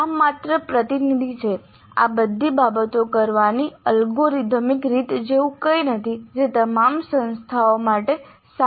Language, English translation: Gujarati, There is nothing like an algorithmic way of doing all these things which holds good for all institutes